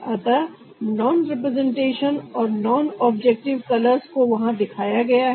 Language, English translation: Hindi, so in non representation or non objective colors shown there